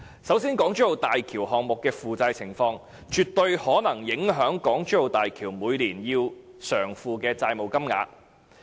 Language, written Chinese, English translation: Cantonese, 首先，港珠澳大橋項目的負債情況，絕對可能影響港珠澳大橋每年要償付的債務金額。, On the one hand the debt situation of the HZMB project definitely may have an effect on the yearly amount of debt repayment by the HZMB Authority